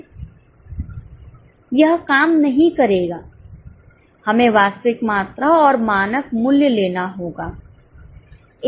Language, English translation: Hindi, We have to take actual quantity and standard prices